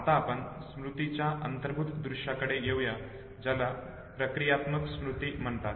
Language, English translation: Marathi, Let us now come to the implicit sight of the memory what is called as procedural memory